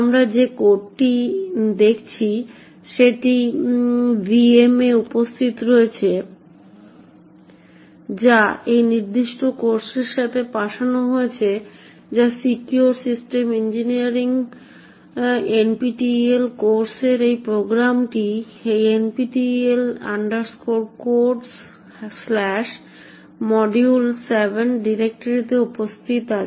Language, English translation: Bengali, The code that we are looking at is present in the VM that is shipped along with this particular course that is the Secure System Engineering NPTEL course and the program as such is present in this directory NPTEL Codes/module7